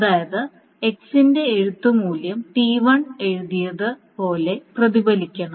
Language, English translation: Malayalam, That means the right value of X should be reflected as whatever has been written by T1